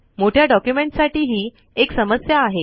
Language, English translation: Marathi, This is a problem with large documents